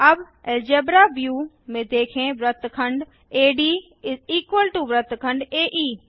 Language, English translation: Hindi, Lets see from the Algebra view that segment AD=segment AE